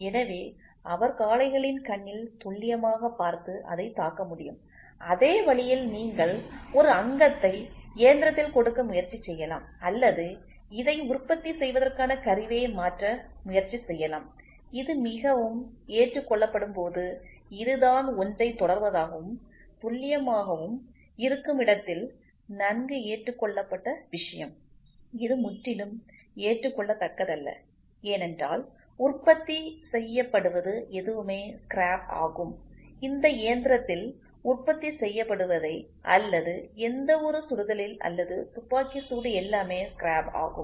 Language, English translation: Tamil, So, that he can accurately see at the bulls eye and hit it and in the same way process you can try to give a fixture or you can try to change the tool to produce this, when this is the very well accepted, this is the very well accepted thing where it is precise and accurate, this is completely not acceptable because whatever is getting produced is scrap whatever it is getting produced in this machine or whatever is a shoot or firing everything is scrap